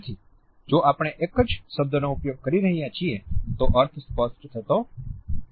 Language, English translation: Gujarati, So, if we are using a single word the meaning does not become clear